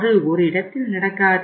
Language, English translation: Tamil, It does not happen at one place